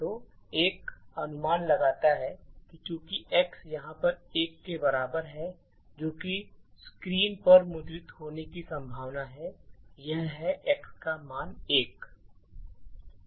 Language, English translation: Hindi, So, one would guess that since x is equal to one over here what would likely be printed on the screen is that the value of x is 1